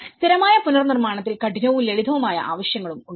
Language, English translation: Malayalam, In the permanent reconstruction, there is also the hard and soft needs